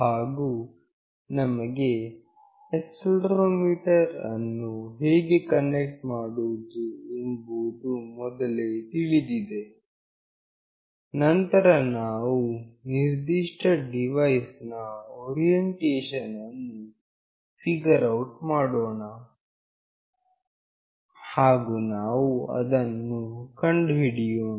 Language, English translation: Kannada, And we already know how we can connect accelerometer, then we will figure out the orientation of any particular device, and we will determine that